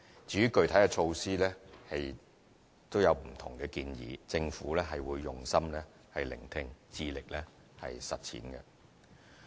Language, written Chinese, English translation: Cantonese, 至於具體措施，則有不同建議，政府會用心聆聽，致力實踐。, The Government will listen to peoples views attentively and work hard to implement the measures